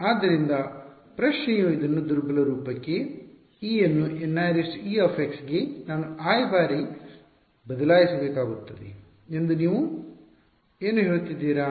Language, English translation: Kannada, So, the question is will have to substitute this into the weak form e into i N e into i times is there what you are saying